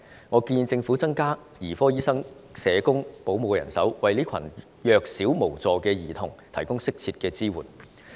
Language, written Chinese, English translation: Cantonese, 我建議政府增加兒科醫生、社工和保姆的人手，為這群弱小無助的兒童提供適切的支援。, I suggest that the Government should increase the manpower of paediatric doctors social workers and childrens carers and provide appropriate support to these helpless children